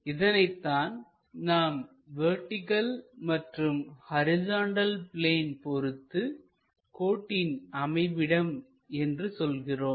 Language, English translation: Tamil, That is what we call is position with respect to vertical plane and horizontal plane